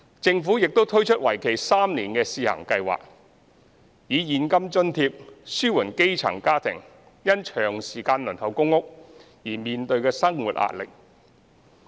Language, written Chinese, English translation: Cantonese, 政府亦推出為期3年的試行計劃，以現金津貼紓緩基層家庭因長時間輪候公屋而面對的生活壓力。, The Government will also launch a three - year trial scheme to provide cash allowance for grass - roots families which have waited for PRH allocation for a prolonged period of time so as to relieve their pressure on livelihood